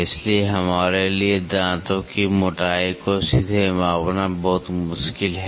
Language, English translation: Hindi, So, it is very difficult for us to directly measure the tooth thickness